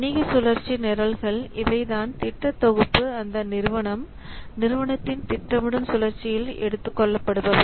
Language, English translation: Tamil, Business cycle programs, these are the groups of projects that are an organization undertakes within a business planning cycle